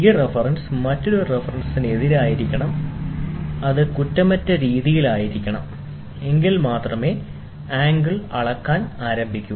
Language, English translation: Malayalam, This reference should butt against another reference which is perfect then, only you can start measuring the angles